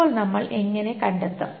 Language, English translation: Malayalam, Now how to compute it